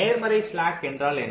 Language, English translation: Tamil, what does a positive slack mean